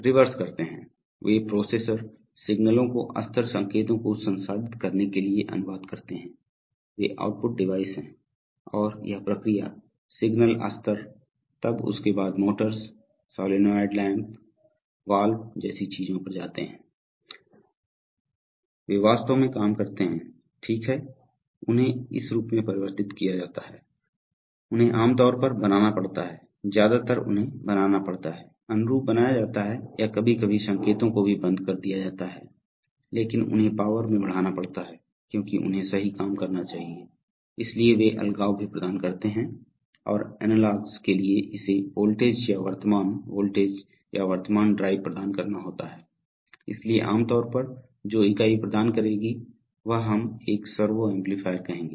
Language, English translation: Hindi, They do the reverse, they translate processor level signals to process level signals, they’re, they are the output devices and this process level signals then go to things like motors, solenoid lamps, valves, they have actually do work, right, so they have to be converted in form, generally they have to made sometimes, mostly they have to make, be made analog or sometimes even on/off kind of signals but they have to be increased in power because they are supposed to do work right, so they also provide isolation, and for analogs it has to provide the voltage or current, voltage or current drive, so typically a unit that will provide, that will be let us say a servo amplifier